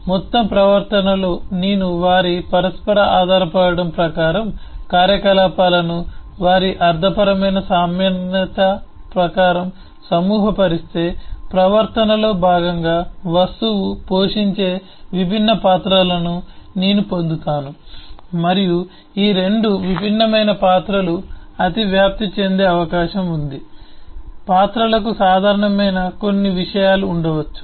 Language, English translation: Telugu, so in a total behavior, if I group the operations according to their semantic commonality, according to their interdependence, then I will get the different roles that the object play as a part of the behavior and it is possible that roles may overlap, that these 2 different roles may have certain things which are common